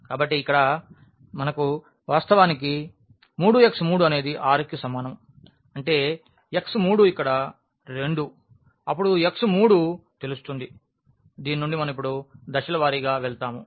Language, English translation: Telugu, So, here we have actually 3x 3 is equal to 6; that means, x 3 is 2 here then this x 3 is known then from this we will go step by step to up now